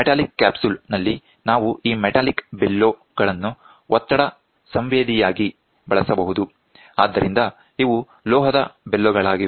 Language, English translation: Kannada, In metallic capsule we do this metallic bellows can be employed as a pressure sensing so, these are metallic bellows